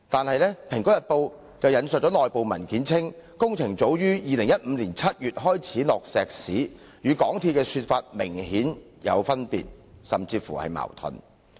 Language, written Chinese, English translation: Cantonese, 可是，《蘋果日報》其後引述內部文件，指工程早於2015年7月便開始落石屎，與港鐵公司的說法明顯有出入。, However Apple Daily subsequently quoted an internal document which pointed out that the concreting work started in July 2015 . This was apparently contrary to MTRCLs claim